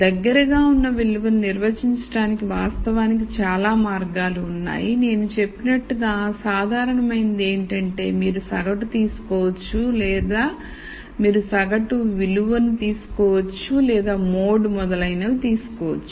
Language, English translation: Telugu, There are many ways of actually defining the most likely value the simplest is what I said you could take the average or you could take the median value you could take a mode and so on